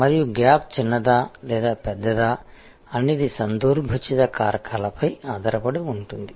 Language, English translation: Telugu, And that whether the gap will be small or larger will depend on what are the contextual factors